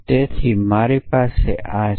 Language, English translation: Gujarati, So, I have this